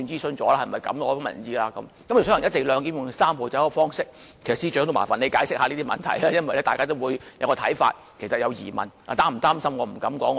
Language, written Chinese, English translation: Cantonese, 所謂"一地兩檢"和"三步走"的方式等，我亦希望請司長解釋以上問題，因為大家也是有些看法和疑問的。, In connection with questions such as the so - called co - location and Three - step Process I also hope the Secretary for Justice can offer an explanation as we all have some sort of opinions and queries